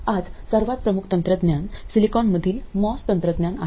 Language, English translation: Marathi, The most predominant technology today is most technology in silicon